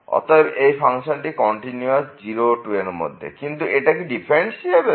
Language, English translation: Bengali, So, the function is continuous in this interval 0 to 2 and what is about the differentiability